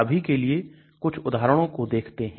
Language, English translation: Hindi, Let us look at some of these examples as of now